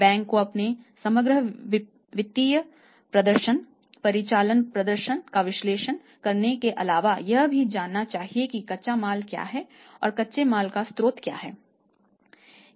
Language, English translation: Hindi, The bank apart from analysing their overall financial performance, operating performance we should also make sure what is the raw material and from where it is coming what is the source of raw material